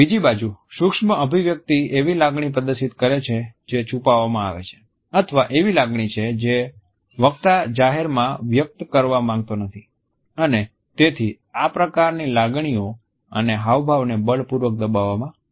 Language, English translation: Gujarati, Micro expression on the other hand display an emotion which is rather concealed or an emotion which the speaker does not want to exhibit openly and therefore, they showcase repression or oppression of feelings